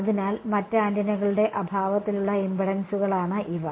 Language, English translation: Malayalam, So, these are the impedances in the absence of the other antennas